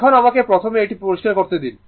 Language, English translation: Bengali, Now, let me first clear it